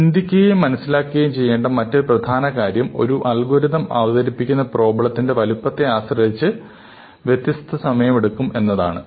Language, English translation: Malayalam, The other important thing to realize, of course is, that the algorithm will take a different amount of time depending on the size of the problem that it is presented with